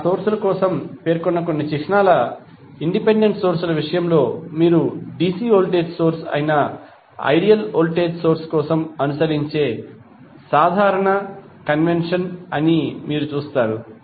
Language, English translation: Telugu, There are certain symbols specified for those sources say in case of independent sources you will see this is the general convention followed for ideal voltage source that is dc voltage source